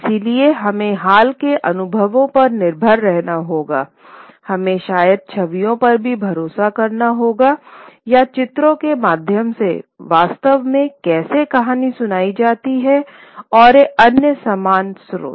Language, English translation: Hindi, So, we have to rely on more recent experiences, one, two, we will also have to rely on maybe for images or descriptions of what how storytelling actually occurred through images, paintings and other similar sources